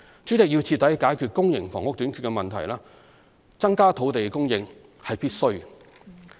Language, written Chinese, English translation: Cantonese, 主席，要徹底解決公營房屋短缺的問題，增加土地供應是必需的。, President it is necessary to increase land supply if we are to eradicate the problem of public housing shortage